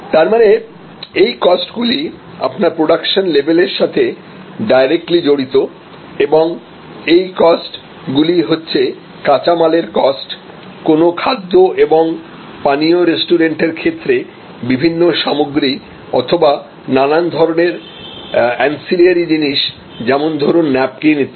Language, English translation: Bengali, So, they are therefore, these costs are directly related to the level of production and these costs are costs of raw material, cost of different ingredients in the case of a food and beverage restaurant or it could be certain types of ancillary stuff supply like napkins and so on, etc